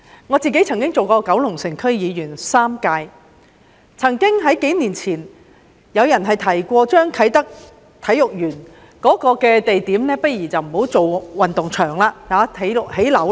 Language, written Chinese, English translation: Cantonese, 我當了3屆九龍城區區議員，數年前曾經有人建議啟德體育園的地點不如不要興建運動場，改為興建樓宇。, I served as a member of the Kowloon City District Council for three terms . A few years ago some suggested that the Kai Tak Sports Park site should be used for constructing buildings instead of sports grounds